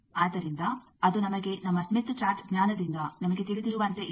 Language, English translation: Kannada, So, it is as we know from our smith chart knowledge that